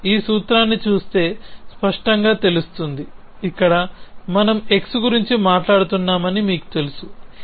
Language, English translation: Telugu, It is clear if you look at this formula is that, you know here we are talking about x here we are talking about